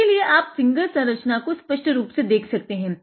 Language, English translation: Hindi, So, you can see it more clearly that finger structure